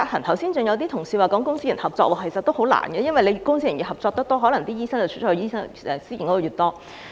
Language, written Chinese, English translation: Cantonese, 剛才更有同事提出公私營合作，其實也很困難，因為公私營合作越多，醫生流向私營系統的可能便越大。, Some Members have proposed public - private partnership which is actually very difficult to achieve because the more public - private partnership there is the greater the possibility of doctors switching to the private sector